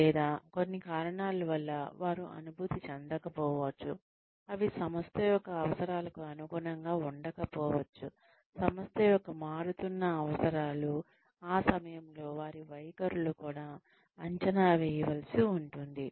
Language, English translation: Telugu, Or, for some reason, they may not feel, , they may not be, in tune with the requirements of the, the changing requirements of the organization, at which point, those attitudes, will also need to be assessed